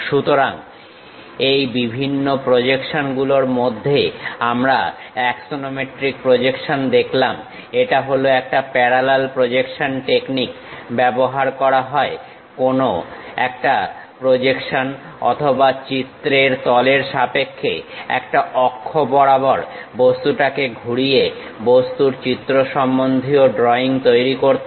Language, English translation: Bengali, So, under these different projections, we have seen axonometric projection; it is a parallel projection technique used to create pictorial drawing of an object by rotating the object on axis, relative to the projection or picture plane